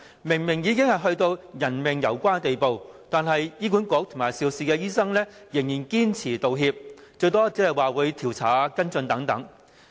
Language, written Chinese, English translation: Cantonese, 明明已到了人命攸關的地步，但醫院管理局和肇事醫生仍然堅拒道歉，最多只答允調查和跟進。, In most cases although life and death is obviously involved the Hospital Authority and the doctors in question still flatly refuse to apologize and will at most undertake to conduct investigation and follow - up accordingly